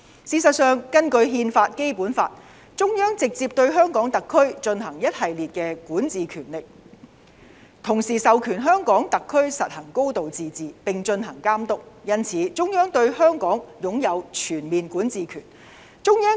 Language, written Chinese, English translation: Cantonese, 事實上，根據憲法和《基本法》，中央直接對香港特區進行一系列的管治權力，同時授權香港特區實行"高度自治"，並進行監督，因此，中央對香港擁有全面管治權。, As a matter of fact according to the Constitution and the Basic Law the Central Government has the authority to directly exercise a host of powers relating to the governance of the Hong Kong SAR and at the same time it confers the Hong Kong SAR with a high degree of autonomy under its supervision . For that reason the Central Government has the overall jurisdiction over Hong Kong